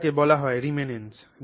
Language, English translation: Bengali, So, this is called reminence